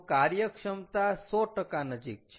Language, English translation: Gujarati, so efficiency is almost close to hundred percent